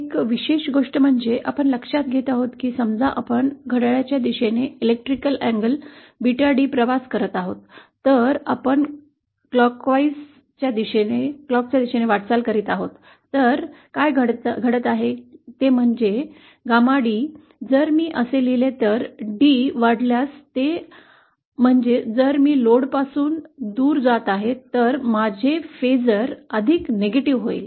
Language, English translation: Marathi, An interesting thing that we note is that if suppose we travel electrical and Beta D in clockwise direction, if we are moving in the clockwise direction, then what is happening is that Gamma D, if I write it like thisÉ If D increases, that is if I am moving away from the load, then my phasor becomes more negative